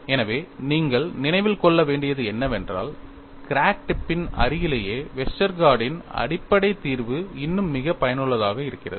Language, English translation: Tamil, So, what you will have to keep in mind is, in the near vicinity of crack tip, the basic solution of Westergaard is still very useful